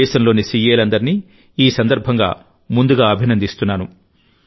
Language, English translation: Telugu, I congratulate all the CAs of the country in advance